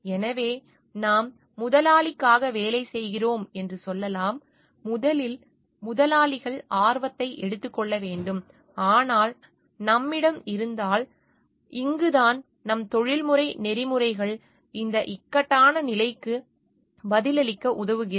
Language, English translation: Tamil, So, we may tell like we are working for the employer and we need to take the employers interest first, but if we have, but this is where our professional ethics helps us to answer this dilemma